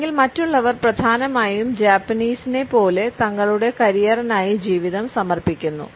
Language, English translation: Malayalam, Or others mainly dedicate their lives for their career like the Japanese